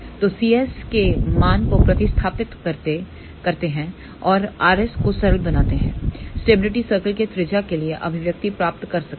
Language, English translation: Hindi, So, substituting the value of c s over here and simplifying for r s we can get the expression for the radius of the stability circle